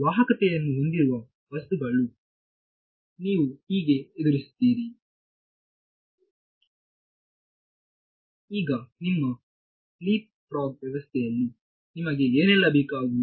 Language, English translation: Kannada, So, this is how you would deal with a material that has conductivity right now in your in your LeapFrog system what all do you need